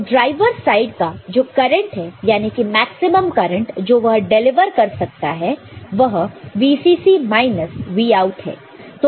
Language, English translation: Hindi, 66 volt and driver at that time how much current it can deliver, VCC minus Vout that is 1